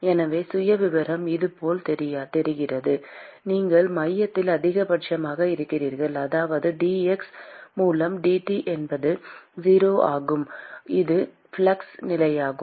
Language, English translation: Tamil, So, the profile looks like this, you have a maxima at the center which means that dT by dx is 0 which is exactly the flux condition